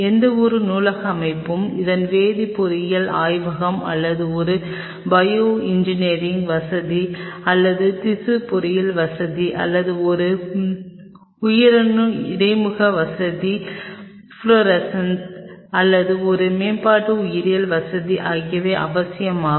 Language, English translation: Tamil, Any library setup its a chemical biology lab or a bioengineering facility or a tissue engineering facility or a development biology facility in or by material cell interface facility fluorescent will be essential